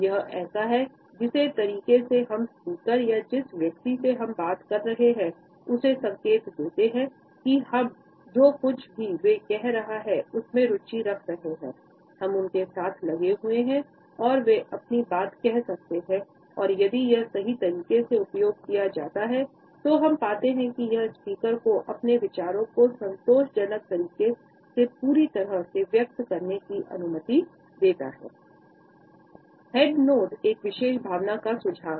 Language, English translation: Hindi, This is one of the ways in which we signal to the speaker or the person we are talking to, that we are engaged in whatever they are saying, we are engaged with them and they should continue further and if used correctly, we find that it allows the speaker to fully express his or her thoughts in a satisfying manner, providing immediate feedback